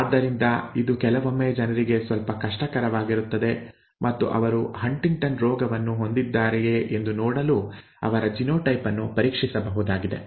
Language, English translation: Kannada, So it is sometimes a little difficult for the people and they could actually have their genes genotype tested to say whether they to see whether they have HuntingtonÕs disease